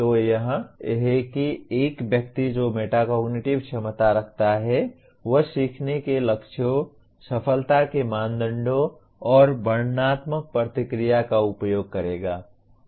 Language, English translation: Hindi, So that is what a person with metacognitive ability will use learning goals, success criteria, and descriptive feedback